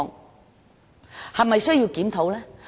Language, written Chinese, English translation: Cantonese, 我們是否需要檢討呢？, Do we have to review the situation?